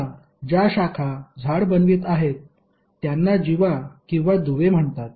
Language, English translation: Marathi, Now the branches is forming a tree are called chords or the links